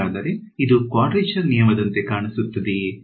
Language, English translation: Kannada, So, does this look like a quadrature rule